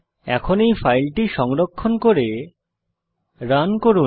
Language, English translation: Bengali, Now, save and run this file